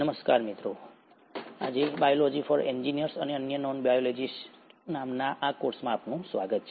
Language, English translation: Gujarati, Hello and welcome to this course called “Biology for Engineers and other Non Biologists”